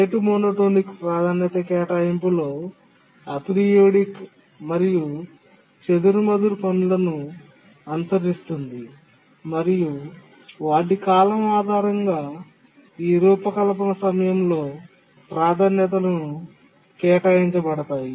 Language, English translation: Telugu, In the rate monotonic priority assignment we had so far looked at only periodic tasks and based on their period we assign priorities during that design time